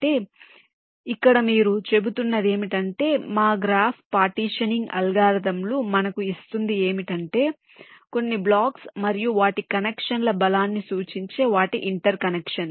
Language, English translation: Telugu, so so here, what your saying is that we start with that graph which our partitioning algorithms is giving us some blocks and their interconnections, indicating their strength of connections